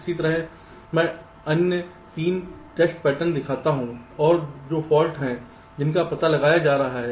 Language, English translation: Hindi, similarly, i show the other three test patterns and what are the faults that a getting detected